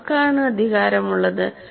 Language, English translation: Malayalam, And now who has the power